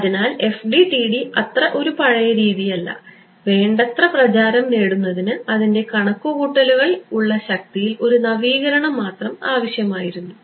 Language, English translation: Malayalam, So, FDTD is not that old a method also its only a it needed a upgrade in computing power to become popular right